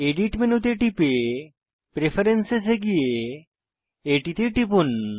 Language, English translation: Bengali, Go to Edit menu, navigate to Preferences and click on it